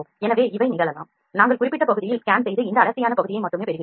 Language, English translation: Tamil, So, these can also happen we perform the lines scanning at the specific area and get this only this densed area